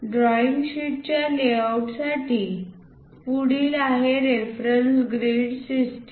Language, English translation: Marathi, The other one for a drawing sheet layout is called reference grid system